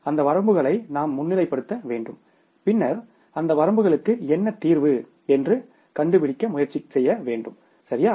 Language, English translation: Tamil, So, we have to understand those limitations, we have to highlight those limitations and then try to find out what is the solution for those limitations, right